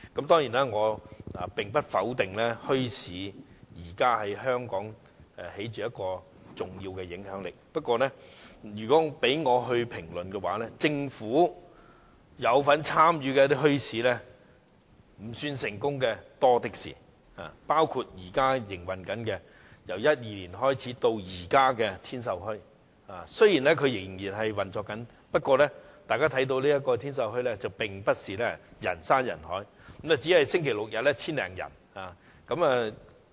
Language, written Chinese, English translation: Cantonese, 當然，我不否定現時墟市在香港有重要的影響力，不過，如果讓我來評論，我會指出，政府有份參與的墟市未算成功的例子多的是，包括自2012年營運至今的天秀墟，雖然仍然在運作中，但大家看到該處並非人山人海，周末及周日只有約 1,000 多人前往。, However when speaking on bazaars I would like to point out that there are many examples of unsuccessful bazaars with government involvement . A case in point is the Tin Sau Bazaar which has been operating since 2012 . Although the bazaar is still in operation we notice that the venue is not crowded at all and there are only about 1 000 visitors on Saturdays and Sundays